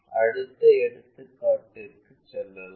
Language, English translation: Tamil, So, let us move on to our next problem